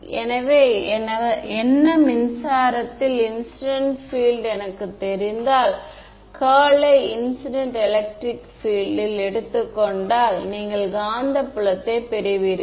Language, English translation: Tamil, So, what, if I know incident field in the electric if I know the incident electric field take the curl you get the magnetic field right